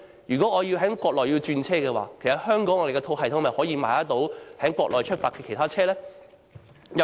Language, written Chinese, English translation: Cantonese, 如果我要在國內轉車，可否在香港的系統購買由國內出發的其他車程呢？, If I need to transfer to another route in the Mainland can I purchase train tickets for departure from the Mainland through the Hong Kong system?